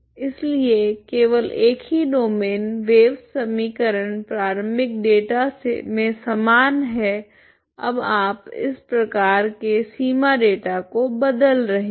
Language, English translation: Hindi, so only thing is same domain wave equation initial data is same now the boundary data you are changing to this type